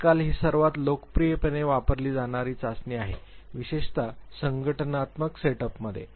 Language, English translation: Marathi, This is one of the most popularly used test now a days, especially in the organizational set ups